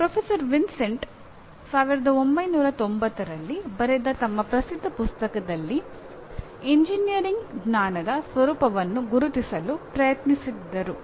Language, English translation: Kannada, Professor Vincenti attempted to identify the nature of engineering knowledge in his famous book written back in 1990